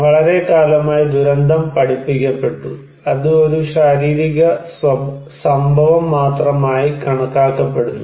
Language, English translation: Malayalam, For very very long time, disaster was taught, considered that is only a physical event